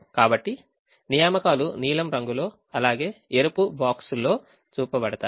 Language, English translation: Telugu, so the assignments are shown in the blue color as well as in the red box